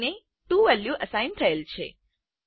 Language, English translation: Gujarati, b is assigned the value of 2